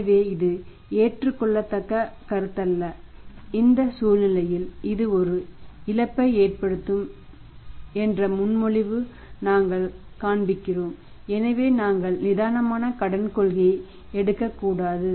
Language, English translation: Tamil, So, that is not acceptable proposition and here in this situation we are we are showing that it is a loss making proposition so we should not a relaxer credit policy